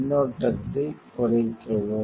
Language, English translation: Tamil, Decrease the current